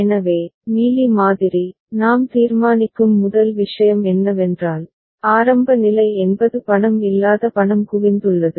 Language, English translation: Tamil, So, Mealy model so, the first thing that we decide is, a is initial state that is no money has been accumulated ok